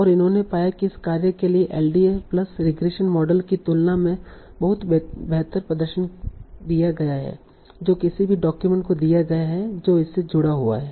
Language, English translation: Hindi, And that they found gives much better performance than an LDA plus separation model for this task given a new document what is a document it will link to